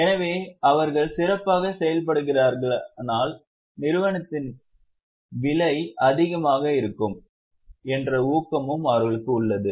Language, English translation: Tamil, So, they have an incentive that if they are performing well, the prices of the company will, the stock of the company will be high